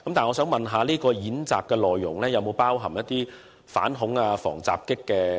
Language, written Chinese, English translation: Cantonese, 我想問，演習內容是否包含反恐及防襲的元素？, Do such drills contain any elements of dealing with terrorism attacks or other attacks?